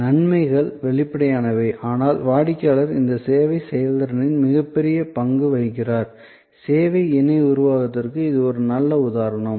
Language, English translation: Tamil, Advantages are obvious, but the customer is playing the much bigger role in this service performance; this is a good example of service co creation